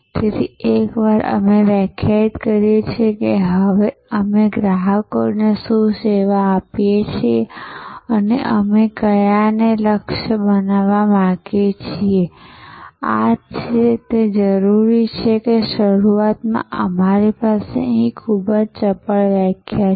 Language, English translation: Gujarati, So, once we define that what customers do we serve now and which ones we want to target and this is the very, it is the requirement that initially we have a very crisp definition here